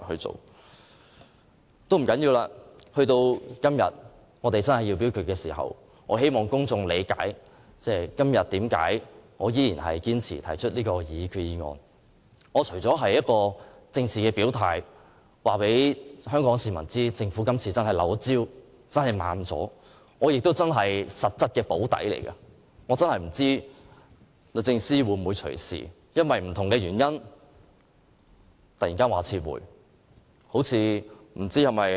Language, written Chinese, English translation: Cantonese, 這也不要緊，我只希望公眾理解，我今天仍然堅持提出這項擬議決議案，是要作政治表態，告訴香港市民政府今次真的"漏招"，是怠慢了，我實際上是替政府"補底"，因為我不知道律政司會否隨時基於甚麼原因撤回擬議決議案。, Never mind I just want to make the public understand why I insist on proposing this resolution . This is sort of political gesture to tell Hong Kong people that there are really negligence and delay on the part of the Government . My proposed resolution is actually a fallback as I am really not sure whether DoJ could withdraw its resolution at any time due to whatever reasons